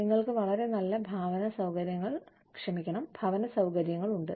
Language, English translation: Malayalam, We have very nice housing facilities